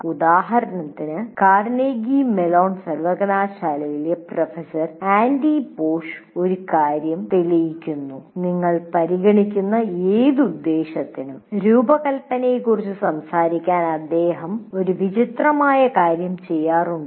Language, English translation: Malayalam, For example, a famous one, one Professor Andy Posh of Carnegie Mellon University, he used to prove a point to whatever purpose you consider, he used to do a strange thing in his class to talk about product design